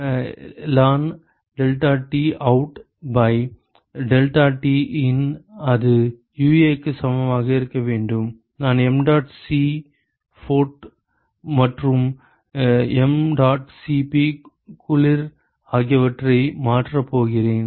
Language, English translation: Tamil, So, learn deltaT out by deltaT in that should be equal to minus UA into so, I am going to replace mdot Cphot and mdot Cp cold